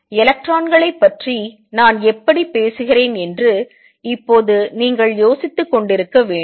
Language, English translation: Tamil, Now you must be wondering so far how come I am talking about electrons why talking about diffraction of electrons